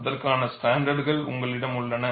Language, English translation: Tamil, And you have standards for that